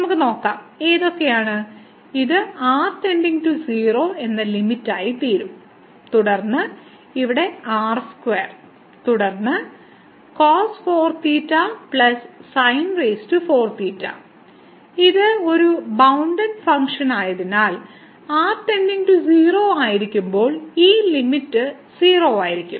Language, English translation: Malayalam, So, let us just see and which, so this will become as the limit goes to 0 and then here square, and then cos 4 theta plus sin 4 theta and since this is a bounded function cos 4 theta plus sin 4 theta when goes to 0 this limit will be 0